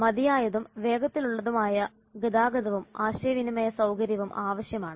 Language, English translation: Malayalam, Adequate and fast transportation and communication facility is also required